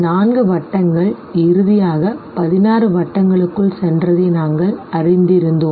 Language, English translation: Tamil, You find four circles here and finally you have 16 of them now